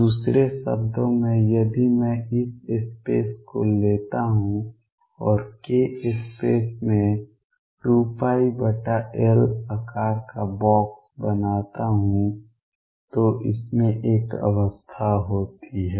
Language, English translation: Hindi, In other words if I take this space and make a box of size 2 pi by L in the k space there is one state in it